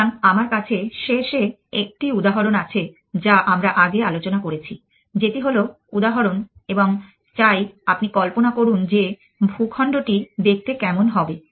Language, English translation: Bengali, So, I was on the end with one example that we of discuss earlier, which is the example and what with a I want into a visualize what will the terrain look like men